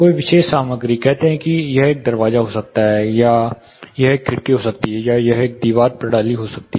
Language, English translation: Hindi, Any particular material says it can be a door, it can be a window, or it can be a wall system